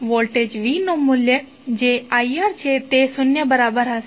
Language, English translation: Gujarati, The value of V that is I R will be equal to zero